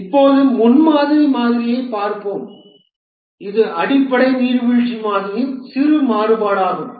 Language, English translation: Tamil, Now let's look at the prototyping model which is also a small variation of the basic waterfall model